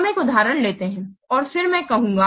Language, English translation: Hindi, Let's take an example and then I will say